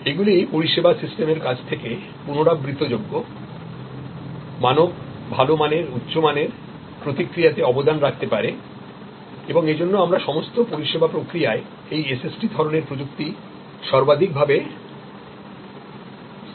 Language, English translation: Bengali, These can therefore, contribute to repeatable, standard, good quality, high quality, response from the service system and that is why we are deploying more and more of this SST instances in all most all service processes